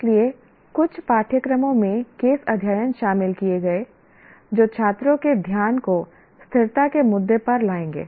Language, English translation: Hindi, So case studies incorporated in some courses that will bring the attention of the students to sustainability issue